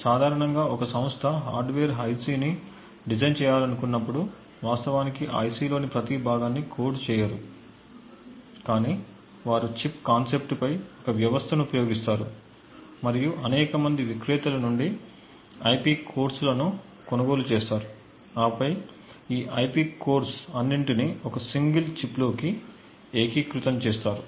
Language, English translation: Telugu, Typically when a company wants to design a hardware IC, they do not actually code every single component of that IC, but rather they would use a system on chip concept and purchase IP cores from several different vendors and then integrate all of these cores within a single chip